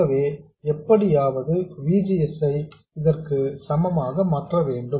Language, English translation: Tamil, So, somehow I have to make VGS to be equal to this